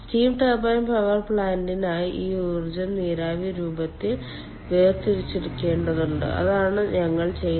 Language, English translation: Malayalam, and for steam turbine power plant, ah, we need to um ah, extract this energy in the form of a steam